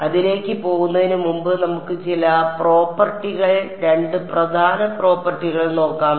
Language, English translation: Malayalam, So, before we go into that let us look at some of the properties 2 main properties